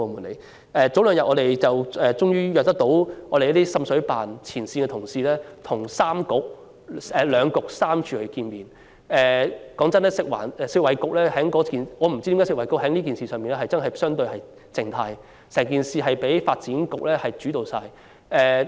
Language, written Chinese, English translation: Cantonese, 前兩天，我們終於能安排滲水投訴調查聯合辦事處的前線同事與兩局三署的官員會面，老實說，我也不知道食物及衞生局為何在這事情上相對被動，任由發展局主導一切。, Two days ago we were finally able to arrange a meeting between frontline personnel of the Joint Offices for Investigation of Water Seepage Complaints and officials from two Policy Bureaux and three government departments . Frankly speaking I do not understand why the Food and Health Bureau has acted so passively in handling the matter and let the Development Bureau in the driving seat